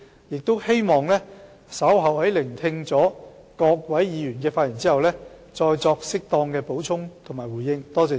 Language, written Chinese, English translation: Cantonese, 我希望稍後在聆聽各位議員的發言後，再作適當的補充和回應。, After listening to the remarks to be made by Members later on I will make a supplement and response as appropriate